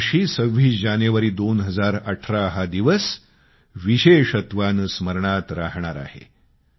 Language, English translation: Marathi, But 26th January, 2018, will especially be remembered through the ages